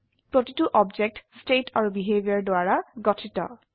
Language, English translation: Assamese, Each object consist of state and behavior